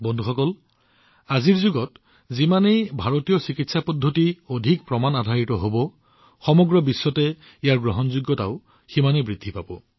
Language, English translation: Assamese, Friends, In today's era, the more evidencebased Indian medical systems are, the more their acceptance will increase in the whole world